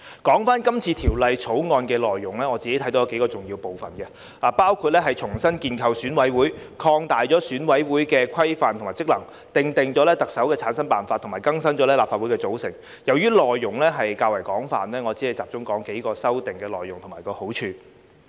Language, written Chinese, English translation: Cantonese, 談到這次《條例草案》的內容，我看到有數個重要部分，包括重新建構選委會、擴大選委會規模及職能、訂定特首的產生辦法及更新立法會的組成，由於內容較為廣泛，我只會集中說說數項修訂內容及其好處。, When it comes to the contents of the Bill I can see that there are several important parts including the reconstitution of EC the expansion of the size and functions of EC the determination of the method for the selection of the Chief Executive and the renewal of the composition of the Legislative Council . As the contents are quite extensive I will only focus on a few amendments and their merits